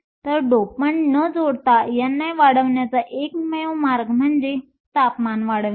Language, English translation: Marathi, So, the only way to increase n i without adding dopants is to increase temperature